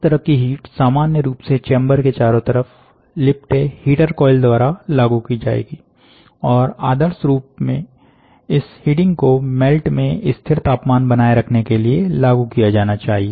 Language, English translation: Hindi, Such heat would normally be applied by heater coil wrapped around the chamber and ideally this heating should be applied to maintain a constant temperature in the melt